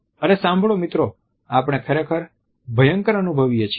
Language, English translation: Gujarati, Hey, listen guys we feel really terrible